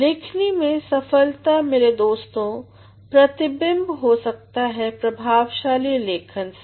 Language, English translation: Hindi, Success in writing my dear friends, can be reflected through the effectiveness